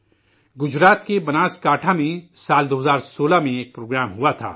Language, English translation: Urdu, An event was organized in the year 2016 in Banaskantha, Gujarat